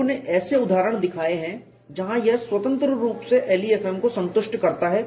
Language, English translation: Hindi, People have shown examples where it satisfies LEFM independently